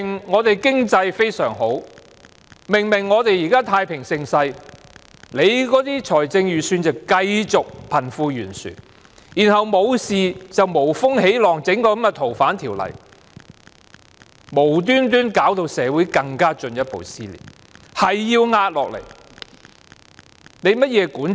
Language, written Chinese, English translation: Cantonese, 我們的經濟狀況明明非常良好，明明現在是太平盛世，但預算案卻繼續無視貧富懸殊問題，然後就是無風起浪，提議修訂《逃犯條例》，無緣無故把社會弄得進一步撕裂，老是要壓下來，這是甚麼管治？, Our economic condition is obviously very favourable and we are obviously enjoying a time of peace and prosperity but the Budget has turned a blind eye to the problem of disparity between the rich and the poor . Worse still the Government stirs up trouble when none exists by proposing to amend the Fugitive Offenders Ordinance thus tearing society further apart for no reason at all . What kind of governance concept is this to force every decision it makes onto the people?